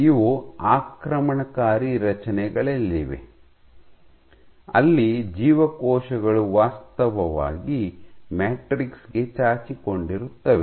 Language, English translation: Kannada, So, these are in invasive structures where cells actually protrude into the matrix